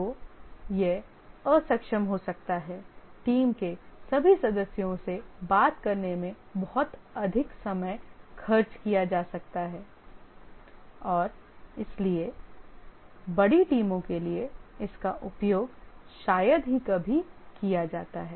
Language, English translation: Hindi, Too much of time may be spent in talking to all the team members and therefore it is rarely used for large teams